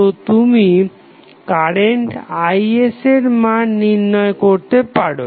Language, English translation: Bengali, So, you can find out the value of current Is